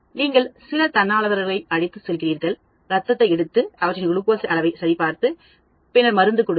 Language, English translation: Tamil, So what you do is, you take some volunteers, you take that blood, check their glucose level, and then you give the drug to them